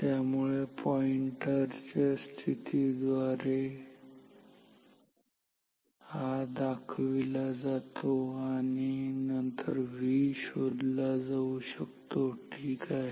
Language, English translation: Marathi, So, this is indicated by the position of the pointer, then V can be found ok